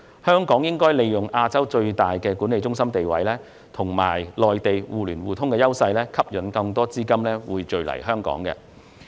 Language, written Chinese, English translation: Cantonese, 香港應利用其作為亞洲最大資產及財富管理中心的地位，以及與內地互聯互通的優勢，吸引更多資金匯聚香港。, Hong Kong should utilize its position as the largest asset and wealth management centre in Asia and the advantages of its mutual access with the Mainland to attract more fund inflows into Hong Kong